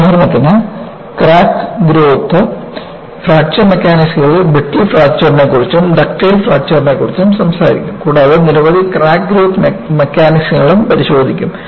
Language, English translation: Malayalam, For example, in Crack Growth and Fracture Mechanisms, we will talk about brittle fracture, we will also talk about ductile fracture and we will also look at several crack growth mechanisms